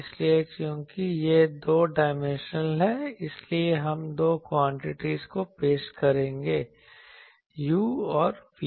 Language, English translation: Hindi, So, here since it is two dimensional, we will introduce the two quantities u and v